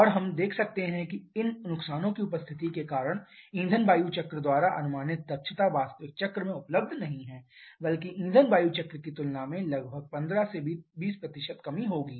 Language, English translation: Hindi, And we can see that because of the presence of these losses the efficiency predicted by fuel air cycle is not available in actual cycle rather that will be about 15 to 20% lower than the fuel air cycle